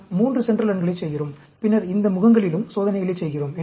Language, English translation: Tamil, We are doing 3 central runs, and then, we are also doing experiments at these faces